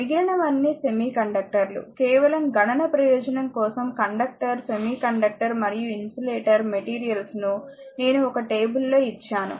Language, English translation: Telugu, Other thing are semiconductor if just for computational purpose that conductor semiconductor and your insulator material just I given a table